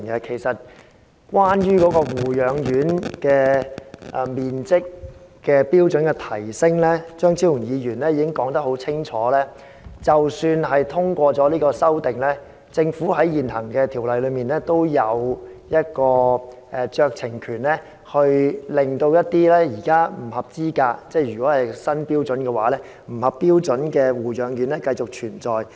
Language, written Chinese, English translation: Cantonese, 其實關於提升護養院人均樓面面積的標準，張超雄議員已清楚指出，即使他的修正案獲得通過，政府在現行條例下仍有酌情權，可以容許現時在新標準下不合資格或不合標準的護養院繼續存在。, In fact in respect of raising the standard of the area of floor space for each resident in nursing homes Dr Fernando CHEUNG has clearly pointed out that even if his amendment were passed the Government would still have discretionary power under the existing law . It may allow existing nursing homes ineligible or unqualified under the new standard to continue to operate